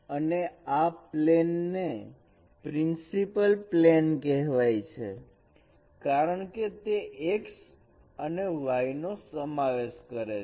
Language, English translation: Gujarati, And this plane is called principal plane because it contains the axis x and y